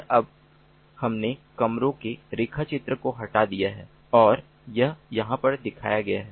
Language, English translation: Hindi, and now we have remove the sketch of the rooms and this is what is shown over here